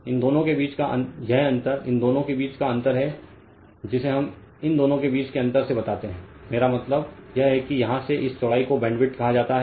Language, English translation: Hindi, The difference between these this one this difference between this two that is your what we call this from this two I mean this this width from here to here it is called your bandwidth right